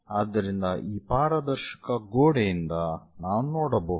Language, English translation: Kannada, So, one can really look at from transparent wall